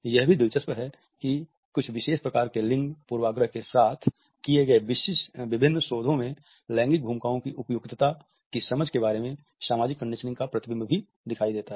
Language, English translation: Hindi, It is also interesting to find that in various researches which have been conducted certain type of gender bias and a reflection of social conditioning about understanding appropriateness of gender roles is also visible